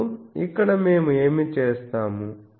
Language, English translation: Telugu, Now, here what we will do